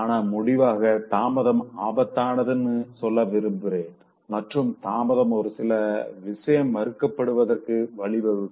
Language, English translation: Tamil, But as a concluding thought, I want to tell you that delay is dangerous and delay can even lead to complete denial of something